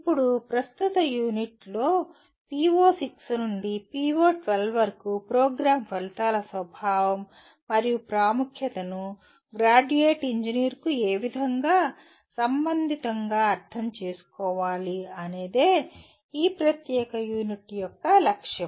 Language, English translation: Telugu, Now the present unit, the outcome is to understand the nature and importance of program outcomes starting from PO6 to PO12 in what way they are relevant to a graduating engineer